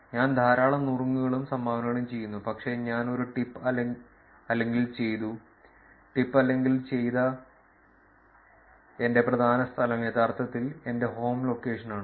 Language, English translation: Malayalam, Which is I do a lot of tips and dones, but my predominant place where I do a tip or a done, tip or a done is actually my home location